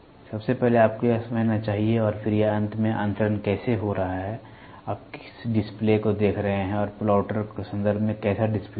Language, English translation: Hindi, First, you should understand that and then how it is intermediately getting transferred finally, what is the display you see and how is the display in terms of plotter